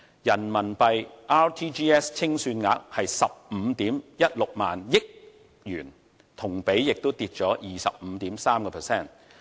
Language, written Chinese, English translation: Cantonese, 人民幣 RTGS 清算額為15萬 1,600 億元，同比下降 25.3%。, The RMB real - time gross settlement amounted to 15.16 trillion a year - on - year decline of 25.3 %